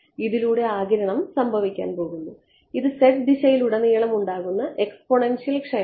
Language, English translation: Malayalam, The absorption is going to happen along this it is the exponential decay along the z direction yeah